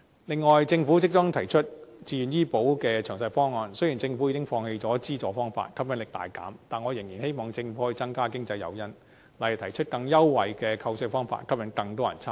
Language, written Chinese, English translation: Cantonese, 另外，政府即將提出自願醫保計劃的詳細方案，雖然政府已放棄了資助方法，吸引力大減，但我仍然希望政府可以增加經濟誘因，例如提出更優惠的扣稅方法，吸引更多人參加。, On the other hand the Government will put forward a detailed proposal on a Voluntary Health Insurance Scheme shortly . Although the Government has abandoned its subsidy option which has made the Scheme far less attractive I still hope that the Government can offer additional economic incentives by for instance proposing a tax deduction measure offering more concessions in order to lure more people to participate